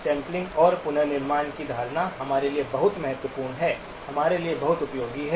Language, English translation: Hindi, So this notion of sampling and reconstruction are very important for us, very useful for us